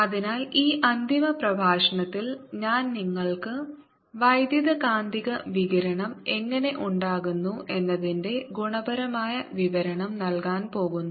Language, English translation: Malayalam, so in this final lecture i'm just going to give you a qualitative description of how you electromagnetic radiation arises